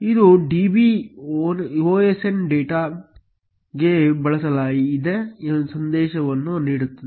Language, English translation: Kannada, It will give a message switched to db osndata